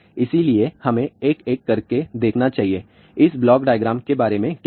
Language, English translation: Hindi, So, let us see one by one; what these block diagrams are all about